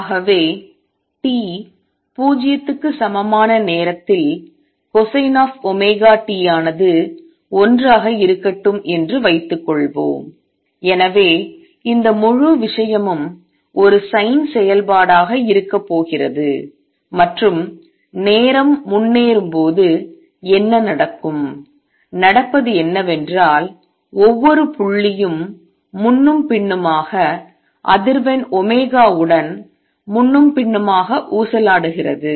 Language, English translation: Tamil, So, suppose at time t equal to 0, let see at time t equal to 0 cosine of omega t is going to be 1 and therefore, this whole thing is going to look like a sin function and what happens as the time progresses all that happens is that each point goes back and forth oscillating back and forth with the frequency omega